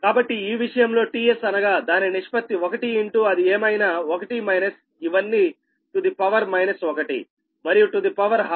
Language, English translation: Telugu, so in this case t s, it is ratio one into whatever it is, one minus all this things, to the power minus one and to the power half